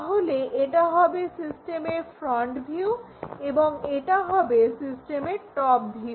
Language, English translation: Bengali, So, this will be the front view and this will be the top view of the system